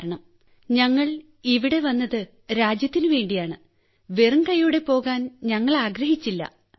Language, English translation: Malayalam, Because we have come here for the country and we do not want to leave empty handed